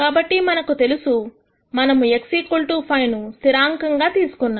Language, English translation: Telugu, So, we know that we are going to keep or hold the z equal to 5 as a constant